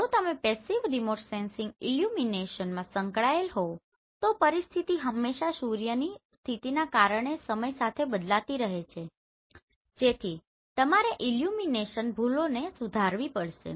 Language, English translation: Gujarati, Because sun is moving if you engaged in passive remote sensing illumination condition always changes with time based on the suns position so you have to correct for the illumination errors